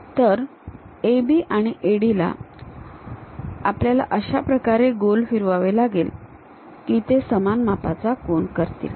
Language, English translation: Marathi, So, AB and AD we are rotating in such a way that they are going to make equal angles